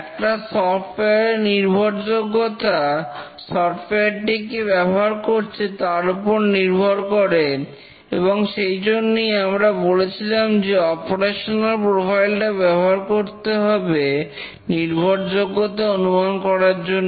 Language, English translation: Bengali, The reliability of a software depends on who is using and therefore we had said that we must use the operational profile to estimate the reliability